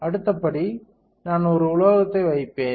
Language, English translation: Tamil, Next step is I will deposit a metal